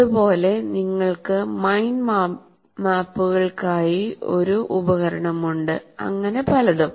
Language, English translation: Malayalam, Similarly, you have a tool for mind map and so on